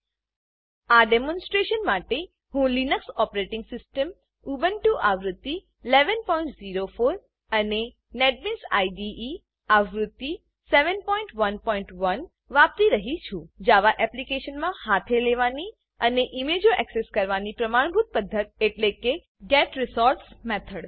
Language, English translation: Gujarati, For this demonstration, I am using the Linux Operating System Ubuntu v11.04 and Netbeans IDE v7.1.1 The standard way to handle and access images in a Java Application is by using the getResource() method